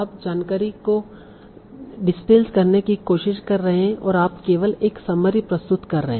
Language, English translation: Hindi, So you are trying to digital information and you are trying to present only a summary out of that